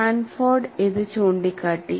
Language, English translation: Malayalam, This was pointed out by Sanford